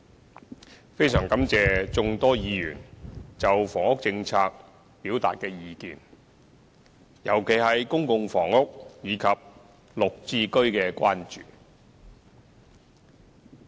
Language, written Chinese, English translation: Cantonese, 主席，非常感謝眾多議員就房屋政策表達的意見，特別是對公共房屋及綠表置居計劃的關注。, President we are extremely grateful to the many Members who have expressed their views on the housing policy especially their concern about public housing and the Green Form Subsidised Home Ownership Scheme GHS